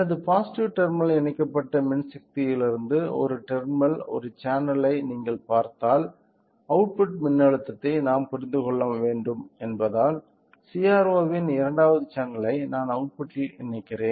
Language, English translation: Tamil, So, if you see one terminal one channel from the power supply connected to the positive terminal so, since we have to understand the output voltage what I will do is that the second channel of CRO I am connecting it to the output